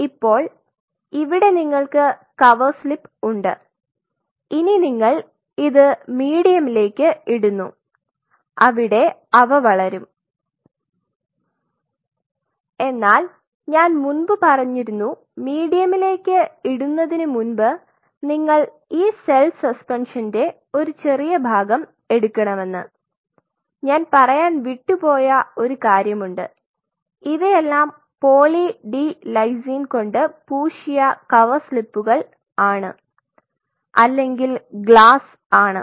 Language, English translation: Malayalam, So, you have, here is your cover slip and here you put medium in which they will grow, before putting medium I have said this before putting medium you take a small part of this cell suspension and and of course, I missed out on one point is these are poly d lysine coated cover slips or glass